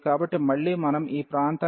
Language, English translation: Telugu, So, again we need to draw the region here